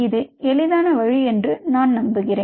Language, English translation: Tamil, there is a easier way to do that